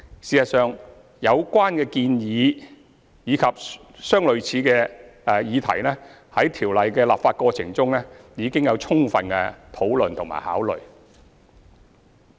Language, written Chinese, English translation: Cantonese, 事實上，有關議題及相類似的建議在《條例》的立法過程中已有充分討論和考慮。, Indeed relevant recommendations and similar issues have been deliberated fully during the legislative process of the Ordinance